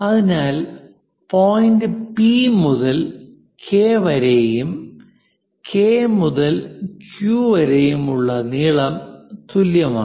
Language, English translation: Malayalam, So, P point to K and K to Q; they are equal